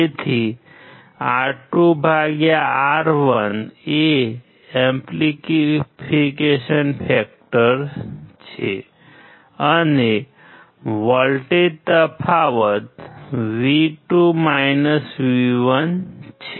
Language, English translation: Gujarati, So, R2/R1 is amplification factor; and voltage difference is V2 V1